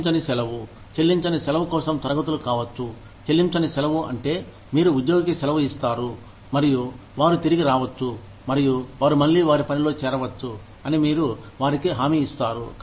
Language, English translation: Telugu, Unpaid leave, the conditions for unpaid leave could be, unpaid leave means, you give the employee leave, and you give them an assurance that, they can come back, and they can join their work, again